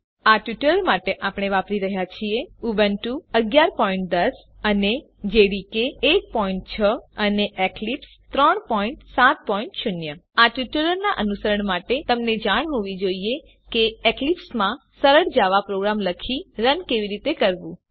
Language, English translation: Gujarati, For this tutorial we are using Ubuntu 11.10, JDK 1.6 and Eclipse 3.7.0 To follow this tutorial, you must know how to write and run a simple java program in Eclipse